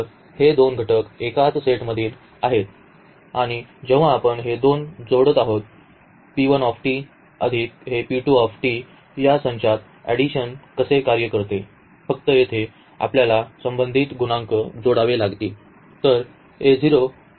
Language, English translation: Marathi, So, these are the two elements from the same set and when we add these two so, p 1 t plus this p 2 t how the addition works in this set it is just we have to add the corresponding coefficients here